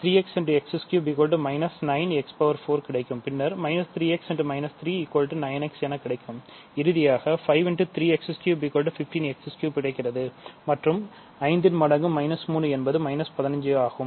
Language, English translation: Tamil, So, that is 15 x cubed and minus 5 times minus 3 is minus 15